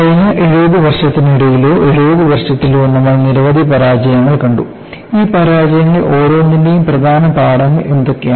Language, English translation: Malayalam, So, we had seen failures for the last70 years or so, in a span of 70 years, and what werethe main lessons from each one of these failure